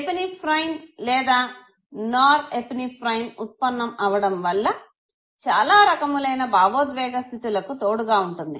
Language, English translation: Telugu, Now release of Epinephrine or nor – epinephrine it accompanies many emotional states, okay